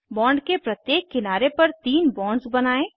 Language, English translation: Hindi, On each edge of the bond let us draw three bonds